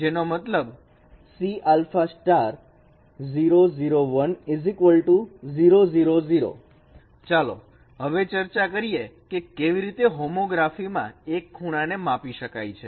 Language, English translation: Gujarati, Let us discuss how an angle could be measured under homography